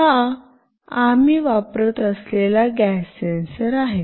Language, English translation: Marathi, This is the gas sensor that we will be using